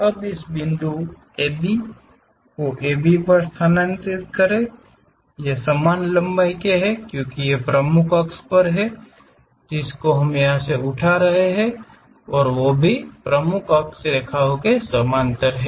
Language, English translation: Hindi, Now transfer this point A B to A B these lengths are one and the same, because these are the principal axis lines parallel to principal axis lines we are picking